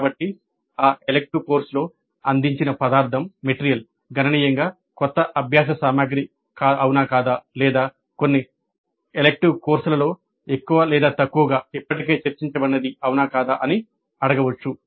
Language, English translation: Telugu, So one can ask whether the material provided in that elective course is substantially new learning material or is it more or less what is already discussed in some other elective courses